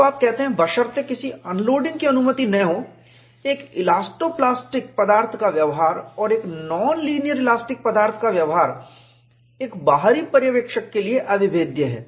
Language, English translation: Hindi, So, you say, provided no unloading is permitted to occur, the behavior of an elasto plastic material and a non linear elastic material is indistinguishable to an outside observer